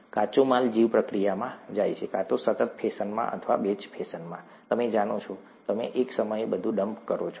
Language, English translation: Gujarati, Raw material goes into the bioreactor, either in a continuous fashion or in a batch fashion, you know, you dump everything at one time